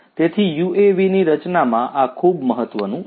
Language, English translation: Gujarati, So, this is very important in the design of a UAV